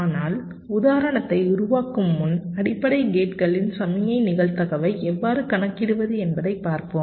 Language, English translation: Tamil, but before working out the example, we look at how to compute the signal probability of the basic gates